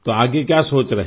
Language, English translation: Hindi, What are you thinking of next